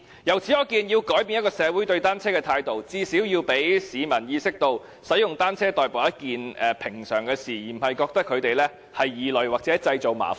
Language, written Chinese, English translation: Cantonese, 由此可見，要改變一個社會對單車的態度，最少要讓市民意識到，使用單車代步是一件平常的事，而不是覺得單車使用者是異類或製造麻煩。, It shows that to change the communitys attitude towards bicycles people should at least realize that commuting by bicycle is usual but not that bicycle users are a different species or troublemakers